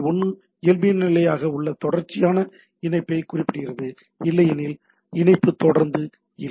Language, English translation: Tamil, 1 specifies a persistent connectivity by default otherwise, the connectivity are not persistent